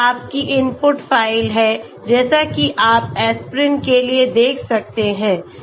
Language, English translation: Hindi, This is your input file as you can see for aspirin okay